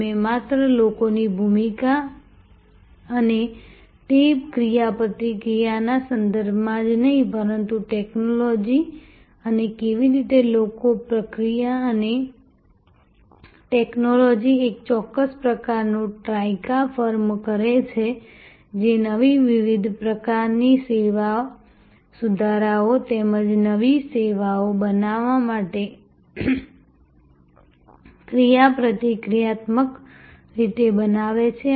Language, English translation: Gujarati, We discussed about the important features not only with respect to role of people and that interaction, but also technology and how people, process and technology firm a certain kind of Trica, which are interactively creating new different types of service improvements as well as creating new services altogether